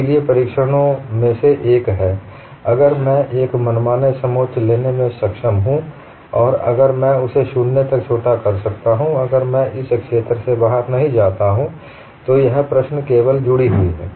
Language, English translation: Hindi, So, one of the tests is, if I am able to take an arbitrary contour and if I shrink it 0, if I do not go out of the region, then that problem is simply connected; otherwise, the domain is multiply connected